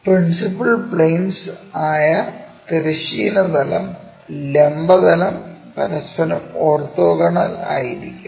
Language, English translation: Malayalam, One is our vertical plane, horizontal plane, these are called principle planes, orthogonal to each other